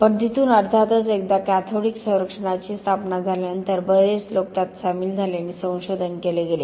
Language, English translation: Marathi, But from there, of course once cathodic protection became established, many, many people got involved and research was carried out